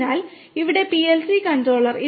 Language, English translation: Malayalam, So, this is the PLC control panel